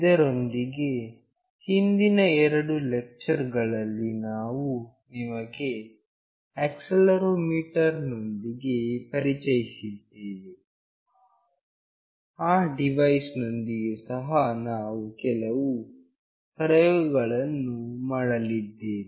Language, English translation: Kannada, Along with that in previous two lectures, we have introduced you to accelerometer; with that device also we will be doing a couple of experiment